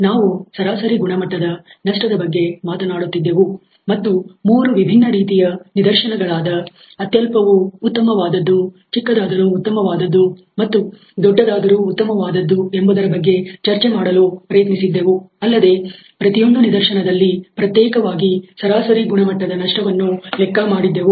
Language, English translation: Kannada, We were talking about the average quality loss and tried to desire for a three different cases as nominal the better, smaller the better and larger the better in each case we calculated a separate average quality loss